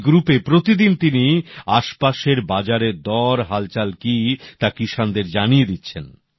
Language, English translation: Bengali, On this group everyday he shares updates with the farmers on prevalent prices at neighboring Mandis in the area